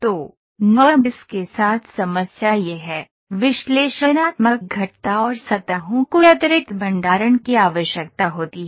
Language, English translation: Hindi, So, the problem with the NURBS is; analytical curves and surface requires additional storage